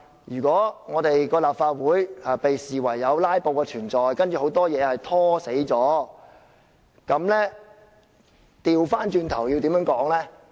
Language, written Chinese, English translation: Cantonese, 如果立法會被視為有"拉布"的存在，把很多問題"拖死"了，倒過來要怎樣說呢？, If it is considered that there are filibusters in the Legislative Council many issues will be dragged to death . How can I explain it the other way round?